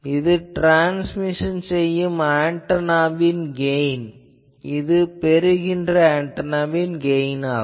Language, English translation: Tamil, Now this is transmitting gain transmitting antennas gain this is received antennas gain